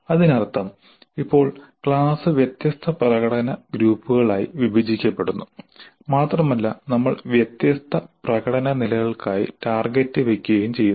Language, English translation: Malayalam, That means now the class is being divided into the different performance groups and we are setting targets for different performance levels